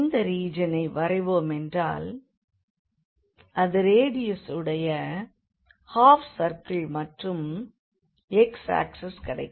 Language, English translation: Tamil, So, if you draw the region here that will be this half circle with radius 1 and then we have here the x axis